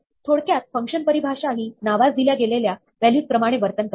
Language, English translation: Marathi, To summarize, function definitions behave just like other assignments of values to names